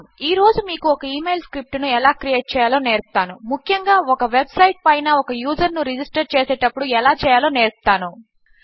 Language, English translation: Telugu, Today I will teach you how to create an email script particularly when you are registering a user onto a website